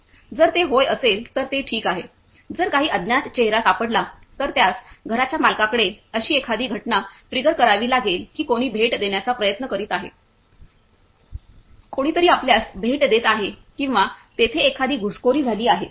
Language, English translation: Marathi, If it is yes, then its fine; if some unknown face is found, then it has to trigger an event to the owner of the house that someone is trying to visit, someone either someone is visiting you or there is an intrusion